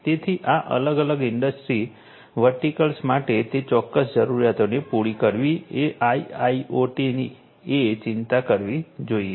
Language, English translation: Gujarati, So, catering to those specific requirements for these different industry verticals is what IIoT should concerned